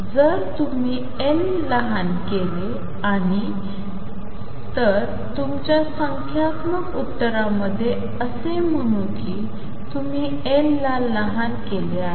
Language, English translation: Marathi, If you make L smaller and let us say in your numerical answer you made getting the numerical answer you have made L smaller